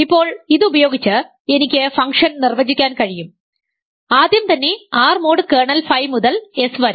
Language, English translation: Malayalam, Now, using this I can define the function first of all from R mod kernel phi to S